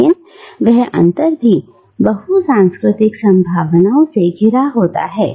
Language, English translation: Hindi, But again that gap, that interstices is also filled with multicultural possibilities